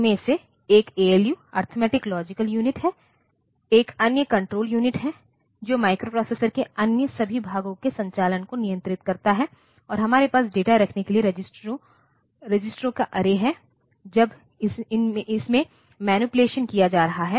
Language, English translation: Hindi, The one of them is the ALU, Arithmetic Logic Unit, another one is the Control Unit that controls the operation of all other parts of the microprocessor and we have an array of registers for holding data while it is being manipulated